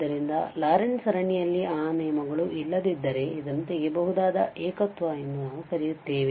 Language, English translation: Kannada, So, if those terms do not exist in the Laurent series then we call that this is a removable singularity